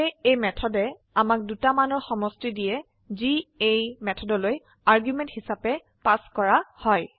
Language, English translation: Assamese, So this method will give us the sum of two values that are passed as argument to this methods